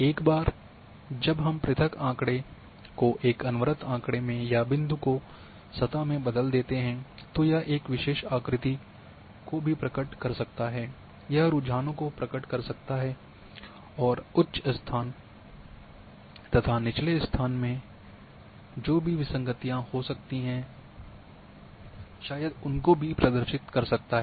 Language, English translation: Hindi, Once we convert a discrete into a continuous or point into surface then it can also reveal the patterns, it can reveal the trends and also anomalies may be higher locations maybe lower locations and so on so forth